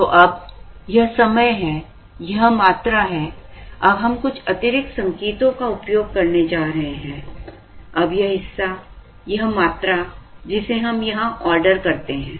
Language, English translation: Hindi, So now, this is time, this is quantity, now we are going to use some additional notation, now this part, this part the quantity that we order here